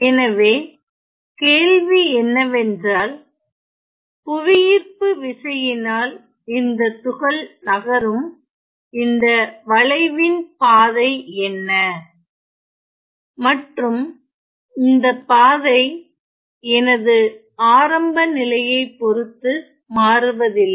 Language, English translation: Tamil, So, the question says what is the curve such that the particle falls under the action of gravity and it this particle falls in such a way that this trajectory is independent of my initial location ok